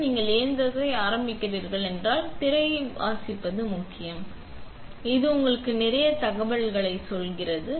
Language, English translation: Tamil, Now, you can see the machine starting up and it is important to read the screen, it tells you a lot of information